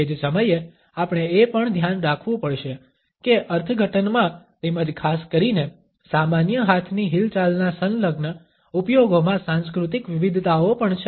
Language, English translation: Gujarati, At the same time we also have to be aware that cultural variations in the interpretation as well as in the allied usages of a particularly common hand movement are also there